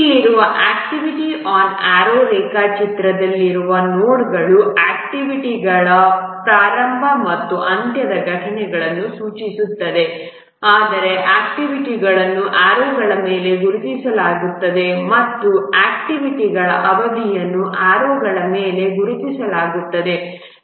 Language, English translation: Kannada, The activity on arrow diagram here the nodes indicate the start and end events of activities, but the activities themselves are marked on the arrows and also the duration of the activities are marked on the arrows